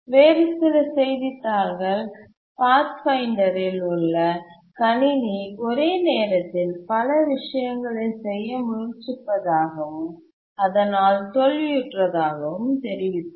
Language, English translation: Tamil, Some other newspapers reported that the computer in the Pathfinder was trying to do too many things at once and therefore was failing and so on